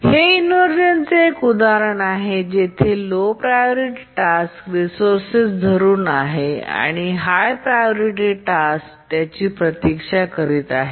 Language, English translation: Marathi, The inheritance related inversion occurs when a low priority task is using a resource and a high priority task waits for that resource